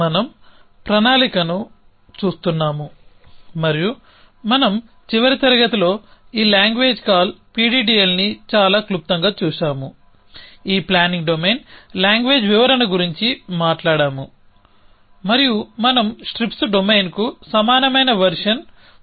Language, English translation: Telugu, So, we are looking at planning and in the last class, we had looked at this language call PDDL very briefly we are talked about this planning domain description language